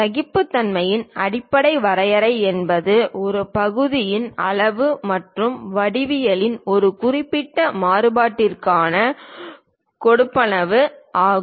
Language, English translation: Tamil, The basic definition for tolerances it is an allowance for a specific variation in the size and geometry of a part